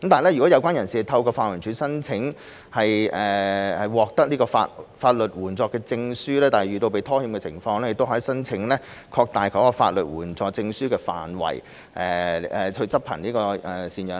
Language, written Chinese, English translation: Cantonese, 如果有關人士透過法援署申請獲得法律援助證書，但遇到被拖欠的情況，亦可以申請擴大法律援助證書的範圍來執行贍養令。, If a person has applied for and received a Legal Aid Certificate from LAD but the maintenance payments are in default she can also apply for extending the scope of the Legal Aid Certificate to enforce the maintenance order